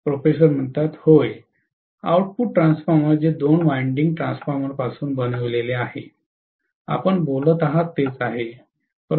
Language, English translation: Marathi, Yes, Auto transformer that is made from two winding transformers, right that is what you are talking about